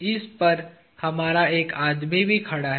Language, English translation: Hindi, We also have a man standing on this